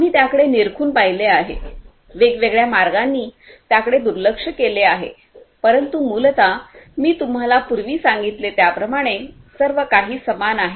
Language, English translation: Marathi, We have looked at it, relooked at it in different different ways, but essentially as I told you earlier everything remains the same